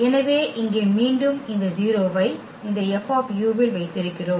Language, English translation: Tamil, So, here again we have this 0 into this F u